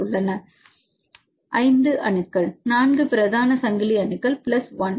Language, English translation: Tamil, Right, 5, 5 atoms right; 4 main chain atoms plus 1; 1